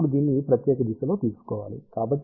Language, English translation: Telugu, Now, this has to be taken along this particular direction